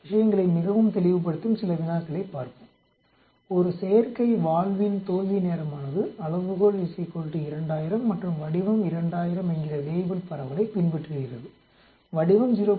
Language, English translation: Tamil, Let us look at some problems that will make things much clearer, the time to failure of an artificial valve follows a Weibull distribution with scale is equal to 2000 and shape is equal to 0